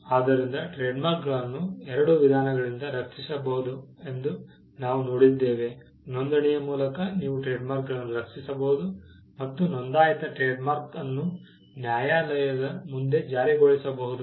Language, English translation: Kannada, So, we have seen that, trademarks can be protected by two means, by a registration you can protect trademarks and a registered trademark can be enforced before a court of law